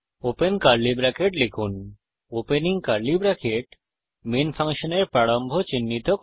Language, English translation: Bengali, Type opening curly bracket { The opening curly bracket marks the beginning of the function main